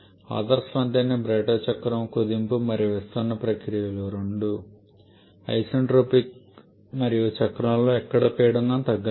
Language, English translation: Telugu, An ideal Brayton cycle is just this that is both compression and expansion processes are isentropic and there is no pressure drop anywhere in the cycle